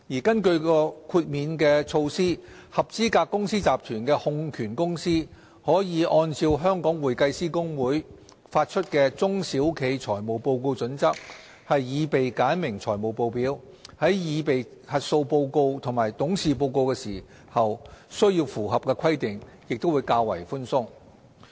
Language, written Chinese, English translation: Cantonese, 根據豁免措施，合資格公司集團的控權公司可按照香港會計師公會發出的《中小企財務報告準則》，擬備簡明財務報表，在擬備核數師報告和董事報告時，須符合的規定也較為寬鬆。, Under this exemption the holding company of an eligible group of companies is entitled to prepare simplified financial statements in accordance with the Small and Medium - sized Entity―Financial Reporting Standard issued by the Hong Kong Institute of Certified Public Accountants HKICPA and is subject to less stringent requirements for the preparation of auditors report and directors report